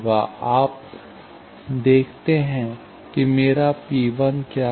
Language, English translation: Hindi, So, you see that, what is my P 1